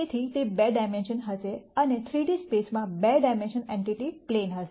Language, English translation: Gujarati, So, its going to be 2 dimensions and a 2 dimensional entity in a 3D space would be a plane